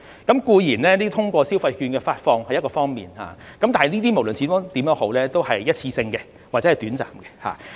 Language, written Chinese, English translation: Cantonese, 固然，消費券的發放是一個方法，但是，這無論如何都是一次性的或者短暫的。, Certainly the disbursement of consumption vouchers is one way but at any rate it is a one - off or short - term measure